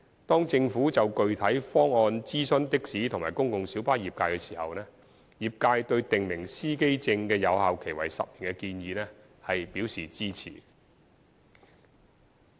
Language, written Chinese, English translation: Cantonese, 當政府就具體方案諮詢的士及公共小巴業界時，業界對訂明司機證有效期為10年的建議表示支持。, When the Government consulted the taxi and PLB trades on the specific proposal the trades have expressed support for the proposal of specifying 10 years as the validity period for driver identity plates